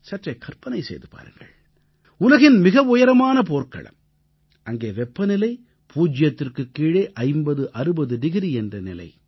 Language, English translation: Tamil, Just imagine the highest battlefield in the world, where the temperature drops from zero to 5060 degrees minus